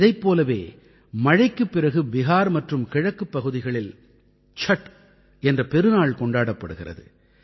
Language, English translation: Tamil, On similar lines, after the rains, in Bihar and other regions of the East, the great festival of Chhatth is celebrated